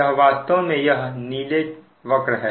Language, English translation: Hindi, this is this, this is this blue curve